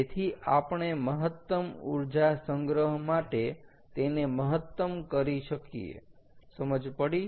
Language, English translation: Gujarati, so we need to maximize for maximum energy storage, clear